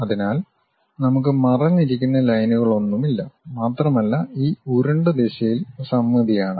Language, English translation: Malayalam, So, there are no hidden lines we will be having and is symmetric in this round direction